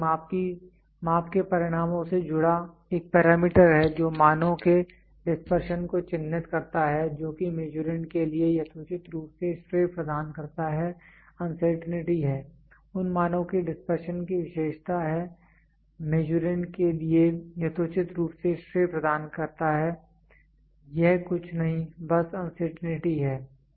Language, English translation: Hindi, It is a parameter associated with the results of a measurement that characterizes the dispersion of values that could reasonably be attributed to the Measurand is uncertainty, characterizes dispersion of the values that could reasonably attributed to the Measurand is nothing, but uncertainty